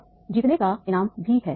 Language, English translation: Hindi, Now there is a reward for winning also